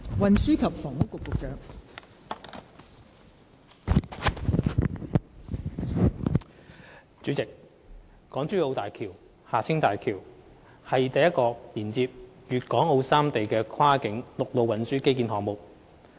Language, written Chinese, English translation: Cantonese, 代理主席，港珠澳大橋是首個連接粵港澳三地的跨境陸路運輸基建項目。, Deputy President the Hong Kong - Zhuhai - Macao Bridge HZMB is the first cross - boundary land transport infrastructure project linking Hong Kong Zhuhai and Macao